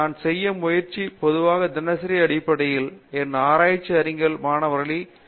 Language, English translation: Tamil, What I try to do is, I usually would like to meet with my research scholars on a daily basis